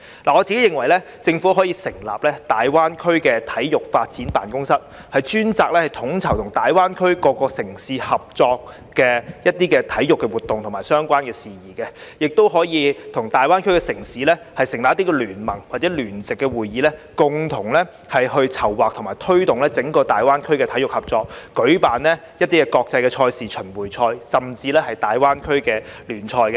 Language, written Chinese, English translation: Cantonese, 我認為，政府可成立大灣區體育發展辦公室，專責統籌與大灣區及各城市合作舉辦體育活動的相關事宜，亦可與大灣區城市成立聯盟或聯席會議，共同籌劃及推動整個大灣區體育合作，舉辦國際賽事、巡迴賽，甚至大灣區聯賽。, In my opinion the Government can set up a GBA sports development office to coordinate matters relating to the co - organization of sports events with GBA and various cities . It can also set up an alliance or joint committee with the cities in GBA to jointly plan and promote sports cooperation in the entire GBA and organize international events tournaments and even leagues in GBA